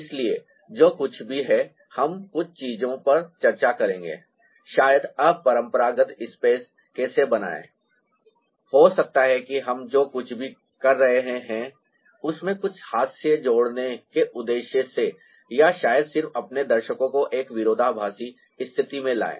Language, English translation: Hindi, so, ah, whatever it is, we will discuss a few things: maybe how to create unconventional space ah, maybe with the purpose of adding some humor to what we are doing otherwise, or maybe ah just bringing the your viewer, to a paradoxical condition